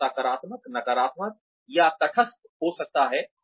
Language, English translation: Hindi, This can be positive, negative, or neutral